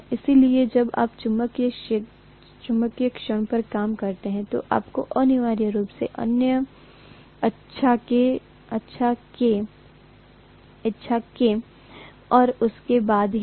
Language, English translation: Hindi, So when you do the work on the magnetic moment, you have to essentially move them against their will, right